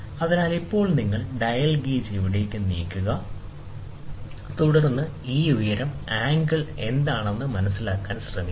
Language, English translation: Malayalam, So, now you will put a dial gauge move it here and there, and then try to figure out what is this height angle